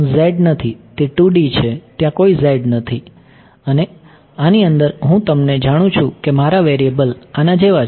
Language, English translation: Gujarati, Not z its a 2 D there is no z and within this I have you know my variables are like this